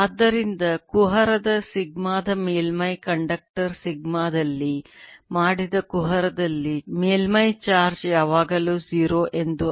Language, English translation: Kannada, so in a gravity made in a conductor, sigma on the surface of the gravity, sigma means surface charge is always zero